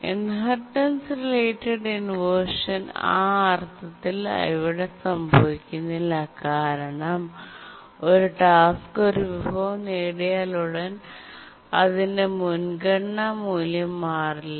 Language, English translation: Malayalam, The inheritance related inversion in that sense does not occur here because as soon as a task acquires a resource its priority value does not change